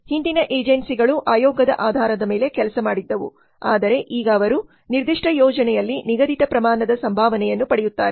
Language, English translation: Kannada, Previous agencies worked on commission basis but now they get fixed amount of remuneration on a specific project